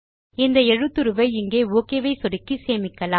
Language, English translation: Tamil, And let us save the font, by clicking on the Ok button here